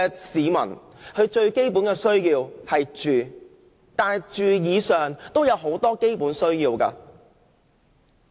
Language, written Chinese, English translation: Cantonese, 市民最基本的需要是住，但在住以外，其實還有很多基本需要。, Housing is indeed the most basic need of the people but they also have many other basic needs